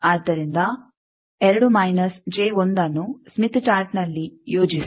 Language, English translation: Kannada, So, with smith chart how to design